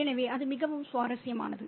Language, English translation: Tamil, So that's very interesting